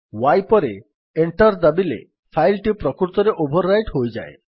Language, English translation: Odia, If we press y and then press Enter, the file would be actually overwritten